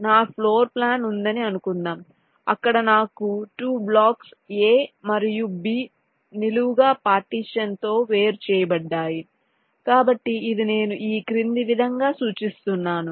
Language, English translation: Telugu, suppose i have a floorplan where i have two blocks, a and b, placed side by side, separated by a vertical partitions